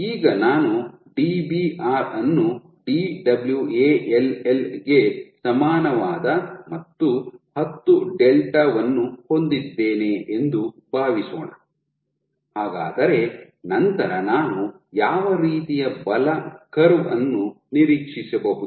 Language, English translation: Kannada, Now let us assume I have Dbr equal to Dwall equal to 10 delta what kind of a force curve may I expect